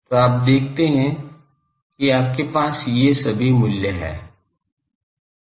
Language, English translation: Hindi, So, you see you have all these values